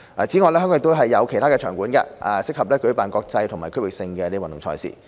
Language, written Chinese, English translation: Cantonese, 此外，香港亦有其他場館，適合舉辦國際及區域性的運動賽事。, In addition Hong Kong has other stadiums and grounds which are suitable for the organization of international and regional sports events